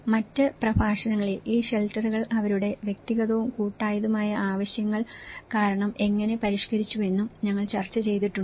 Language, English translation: Malayalam, And in other lectures also we have discussed how these shelters have been modified for that because of their individual and collective needs